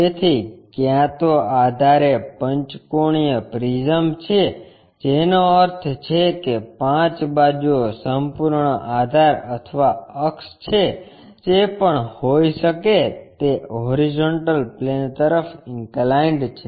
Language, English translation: Gujarati, So, either the base is a pentagonal prism that means, 5 sides is entire base or axis, whatever might be that is inclined to horizontal plane